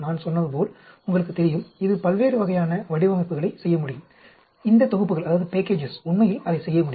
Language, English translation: Tamil, I, like I said, you know, it can spin out different types of designs, these packages can do that actually